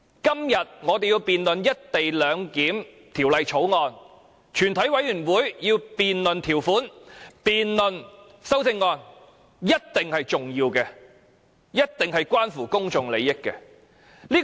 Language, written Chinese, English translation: Cantonese, 今天，我們要辯論《條例草案》，全委會要辯論各條文的修正案，這一定是重要的，一定是關乎公眾利益的。, Today we have to debate the Bill the committee of the whole Council has to debate the amendments to various clauses which is definitely important and certainly involves public interests